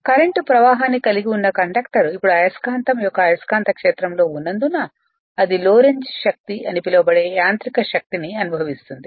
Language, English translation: Telugu, And because the current carrying conductor lies in the magnetic field of the permanent magnet it experiences a mechanical force that is called Lorentz force